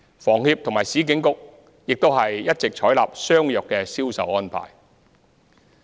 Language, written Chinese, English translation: Cantonese, 房協和市建局也一直採納相若的銷售安排。, Similar sales arrangements are also adopted by HKHS and URA